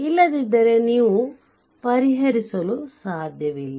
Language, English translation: Kannada, Otherwise you cannot solve, right